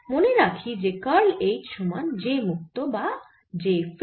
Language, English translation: Bengali, so we know that curl of h is j free, which is zero